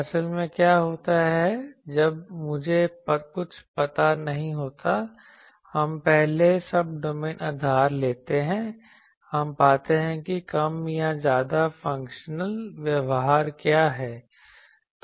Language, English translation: Hindi, Actually what happens when I do not know anything; we take first Subdomain basis we find out what is the more or less functional behavior